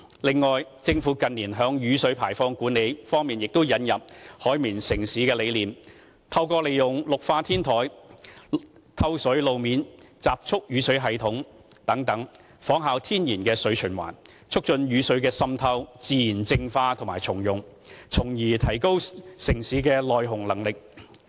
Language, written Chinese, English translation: Cantonese, 此外，政府近年在雨水排放管理方面引入"海綿城市"的理念，透過利用綠化天台、透水路面、集蓄雨水系統等，仿效天然的水循環，促進雨水的滲透、自然淨化及重用，從而提高城市的耐洪能力。, Furthermore in the area of rainwater discharge management the Government has in recent years introduced the concept of sponge city―through rooftop greening projects water - penetrable road surfaces and rainwater harvesting systems―to imitate the natural cycle of water in order to strengthen penetration natural purification and reuse of rainwater so as to improve the citys flood endurance ability